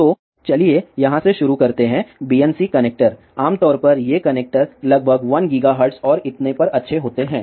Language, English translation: Hindi, So, the let us start with this here BNC connector, generally these connectors are good up to about 1 gigahertz and